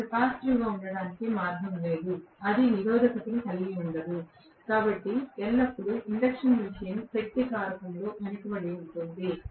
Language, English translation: Telugu, No way it can be capacitive, no way it can be resistive, so always an induction machine will work at lagging power factor only